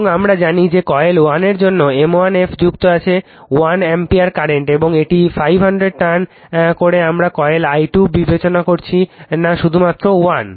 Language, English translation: Bengali, And we know that m 1 F for your for that you coil 1 is excited by 1 ampere current and it is turns is 500 we are not considering coil i 2 right just 1